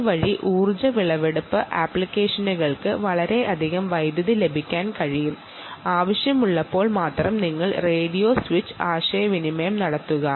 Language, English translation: Malayalam, this way, energy harvesting applications can actually save a lot of power and only when required you switch on the radio and do a communication ah